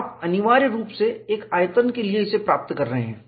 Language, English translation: Hindi, You are essentially getting it for a volume